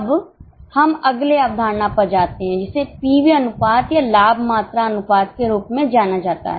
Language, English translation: Hindi, Now let us go to the next concept that is known as p fee ratio or profit volume ratio